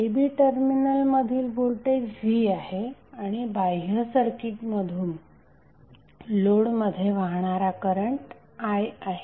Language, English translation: Marathi, So voltage across terminal a b is V and current flowing into the load from the external circuit is current I